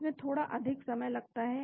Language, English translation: Hindi, It takes little bit more time